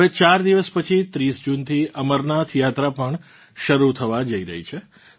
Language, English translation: Gujarati, Just 4 days later,the Amarnath Yatra is also going to start from the 30th of June